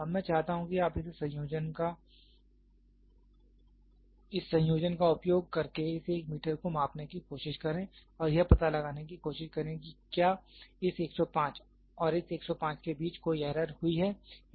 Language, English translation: Hindi, Now what I want you to do is try to measure this 1 meter by using this combinations and try to figure out is there any error has happened between this 105 and this 105